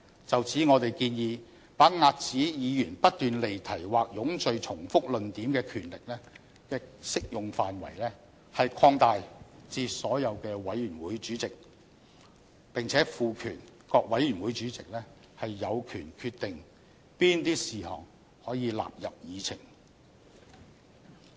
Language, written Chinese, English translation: Cantonese, 就此，我們建議把遏止議員不斷離題或冗贅重複論點的權力的適用範圍擴大至所有委員會的主席，並且賦權各委員會主席有權決定哪些事項可以納入議程。, In this connection we propose that the scope of application of the power to stop Members from dwelling on irrelevance or tedious repetitions be extended to all committees chairmen and all committees chairmen be empowered to decide the items to be included on the Agenda